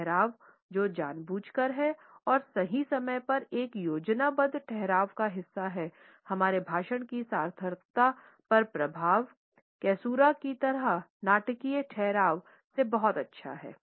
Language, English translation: Hindi, The pauses which are intentional and are a part of a planned pause at the right moment at to the overall impact and significance of our speech they are very much like the dramatic pauses like caesura